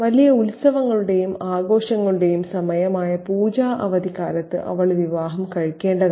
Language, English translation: Malayalam, She was to get married during the Pooja holidays, a time of great festivity and celebration